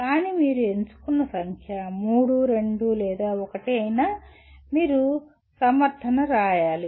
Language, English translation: Telugu, But whatever number that you choose, whether 3, 2, or 1 you have to write a justification